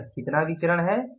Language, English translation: Hindi, So, what is this variance